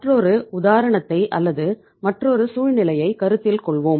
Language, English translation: Tamil, Let us consider another example or the another situation